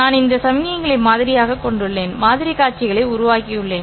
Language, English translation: Tamil, I have sampled these signals and I have generated the sample sequences